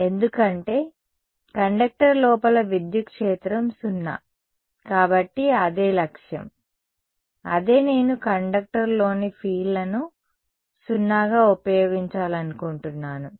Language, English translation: Telugu, E right because inside a conductor electric field is 0; so I that is the goal, that is the sort of property I want to utilize fields inside a conductor as 0